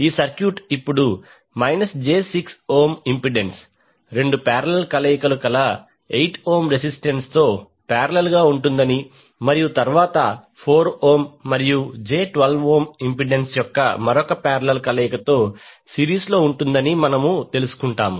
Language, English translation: Telugu, We will come to know that this circuit will now contains two parallel combinations of 8 ohm resistance in parallel with minus J 6 ohm impedance and then in series with the another parallel combination of 4 ohm and j 12 ohm impedance